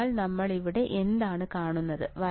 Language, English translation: Malayalam, So, what we see here